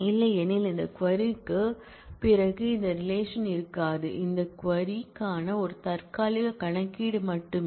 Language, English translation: Tamil, Otherwise after this query this relation will not exist this is just a temporary one computed for this query